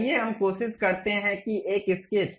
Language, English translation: Hindi, Let us try that a sketch